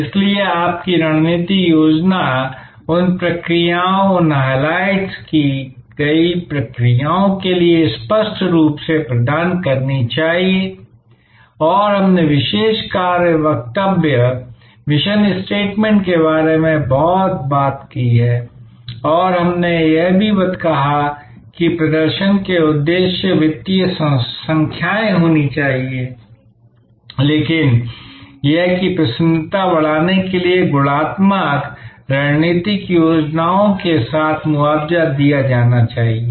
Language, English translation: Hindi, So, your strategy plan must clearly provide for those processes, these highlighted processes and we talked about mission statement and we also said, that there has to be performance objectives, financial numbers, but that must be compensated with qualitative strategic plans for enhancing the delight of the current customers and co opting them for future customers